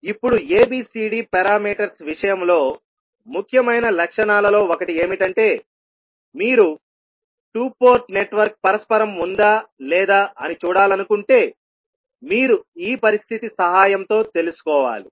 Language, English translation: Telugu, Now, one of the important properties in case of ABCD parameters is that if you want to see whether the particular two port network is reciprocal or not, you need to find out with the help of this condition